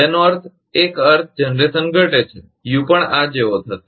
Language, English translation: Gujarati, That means, a meaning is generation decreases, U also will be like this